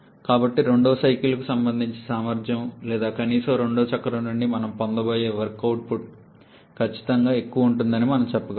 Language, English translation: Telugu, And so we can say that the efficiency corresponding to the second cycle or at least the work output that we are going to get from the second cycle is definitely will be higher